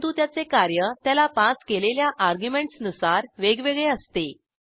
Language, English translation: Marathi, But it behaves differently depending on the arguments passed to them